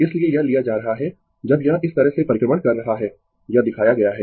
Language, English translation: Hindi, So, this is taking at when it is revolving in this way, this is shown